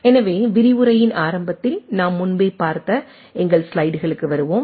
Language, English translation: Tamil, So, we will just come back to our that slides which we have seen much earlier at the beginning of the lecture